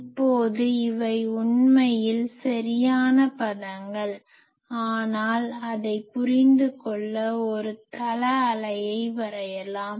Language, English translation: Tamil, Now, these are actually exact terms, but to understand that let me draw a plane wave